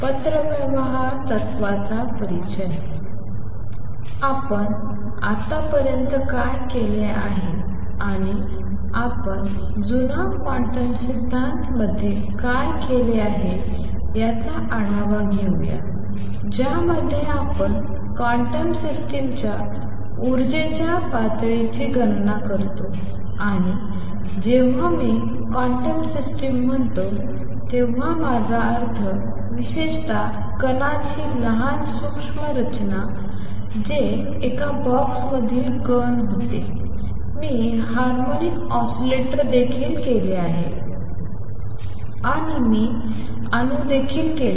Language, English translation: Marathi, Let me just review what we have done so far and what we have done is the old quantum theory in which you calculate it energy levels of quantum systems and when I say quantum systems, I mean small microscopic systems in particular, what I did was particle in a box I also did harmonic oscillator and I also did an atom